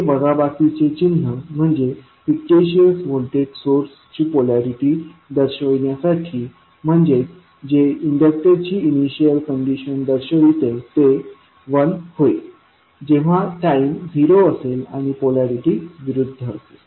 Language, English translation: Marathi, The, to represent the minus sign the polarity of fictitious voltage source that is that will represent the initial condition for inductor will become l at time t is equal to 0 and the polarity will be opposite